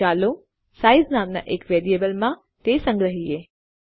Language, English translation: Gujarati, So lets save that in a variable called size